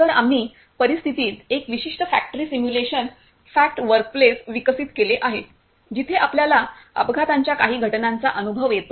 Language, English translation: Marathi, So, we have developed a particular factory simulation fact workplace in scenario where we experience some of the accident situations